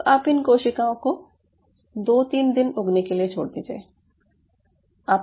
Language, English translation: Hindi, ok, so now you allow these cells to grow for, i would say, two to three days